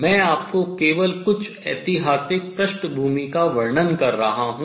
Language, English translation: Hindi, So, let me just write this historical background